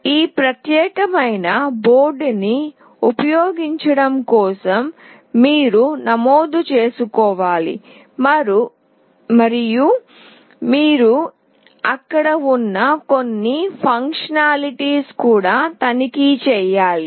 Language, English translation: Telugu, For using this particular board you need to register, and you have to also check certain functionalities which are there, etc